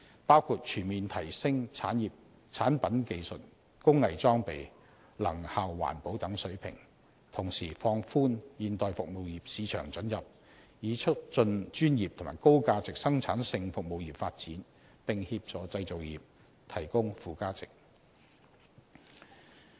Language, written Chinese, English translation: Cantonese, 包括全面提升產品技術、工藝裝備及能效環保等水平，同時放寬現代服務業市場准入，以促進專業和高價值生產性服務業發展，並協助製造業提供附加值。, That will include a comprehensive upgrade of the levels of product technologies workmanship and equipment efficiency and environmental protections and at the same time the relaxation of market access for modern service industries with a view to promoting professional and high - value productive services and adding value to the manufacturing industry